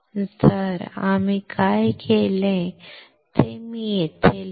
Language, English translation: Marathi, So, I will write it here, what we have done